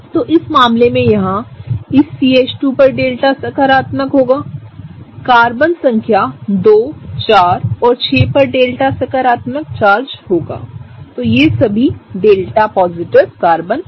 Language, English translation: Hindi, So, in the case here this CH2 outside will have a delta positive; Carbon number 2 will have a delta positive, Carbon number 4 will have a delta positive and Carbon number 6 will have a delta positive, right; so all of these are the delta positive Carbons that are present, right